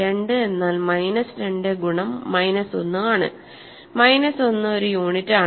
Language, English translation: Malayalam, Similarly, minus 10 times minus 1 is 10 and this is a unit